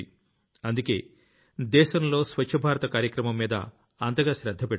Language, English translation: Telugu, That is why the country is giving so much emphasis on Swachh BharatAbhiyan